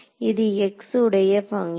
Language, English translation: Tamil, So, this is a function of x